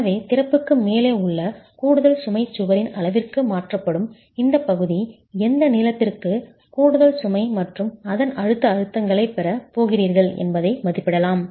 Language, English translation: Tamil, So this region over which the additional load above the opening is going to get transferred to the sides of the wall, an estimate of how over what length are you going to get additional load and compressive stresses thereof can be estimated